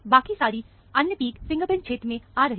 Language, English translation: Hindi, All the other peaks are coming in the fingerprint region